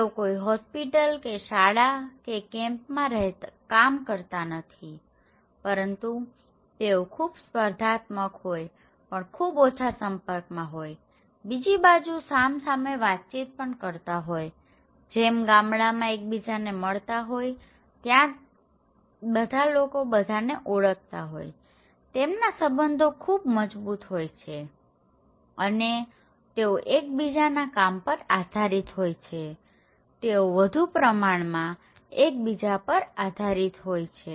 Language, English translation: Gujarati, They do not working in a hospital or working in a school or working in a company, they are very competitive but they have very less interactions; face to face interactions on the other hand, we have high one which are people are meeting with each other like in the village okay, everybody knows everyone, very strong interactions and people depend on each other services, they have high dependency